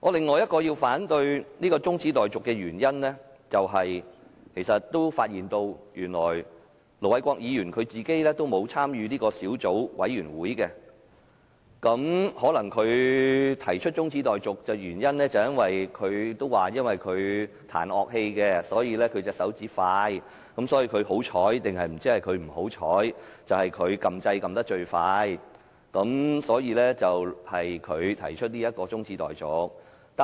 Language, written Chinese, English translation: Cantonese, 我反對這項中止待續議案的第四個原因，是我發現原來盧偉國議員也沒有加入審議修訂規則的小組委員會，他提出中止待續可能是因為他彈奏樂器，所以手指動得快，不知是他幸運或不幸，最快按了"發言按鈕"，所以由他來動議中止待續議案。, The fourth reason for opposing the adjournment motion is that Ir Dr LO Wai - kwok is not a member of the Subcommittee to scrutinize the amendment rules . As he plays musical instrument and has agile fingers he pressed the Request - to - speak button swiftly . Hence he is responsible for moving the adjournment motion though it is hard to tell whether he is fortunate or unfortunate